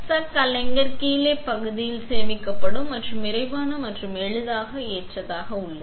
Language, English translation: Tamil, The chuck is stored in the bottom part of the aligner and is quick and easy to load